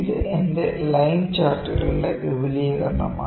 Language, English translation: Malayalam, This is an extension of my line charts, ok